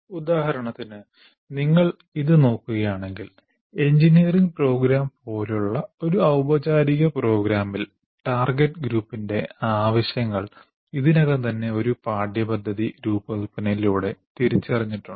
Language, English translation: Malayalam, For example, if you look at this, the needs of the target group in a formal program like an engineering program, the needs of the target group are already identified by through the curriculum design